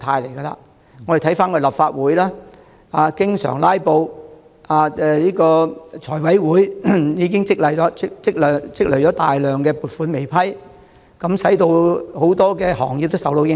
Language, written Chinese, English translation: Cantonese, 看看立法會經常出現"拉布"，財務委員會積壓了大量撥款申請未審批，令多個行業遭受影響。, As one can see frequent filibusters in the Legislative Council and the huge backlog of funding applications in the Finance Committee have affected many sectors